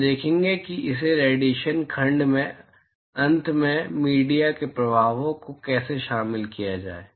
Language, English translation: Hindi, We will see that towards the end of this radiation section how to incorporate the effects of media